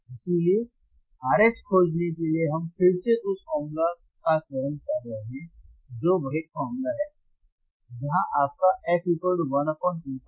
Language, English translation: Hindi, So, for finding R H, we are again selecting the formula which is same formula where your f equals to 1 by 2 pi R C, 1 by 2 pi R C all right